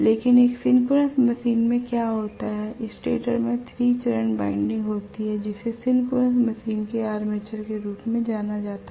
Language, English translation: Hindi, But in a synchronous machine what happens is the stator has the 3 phase winding which is known as the Armature of the synchronous machine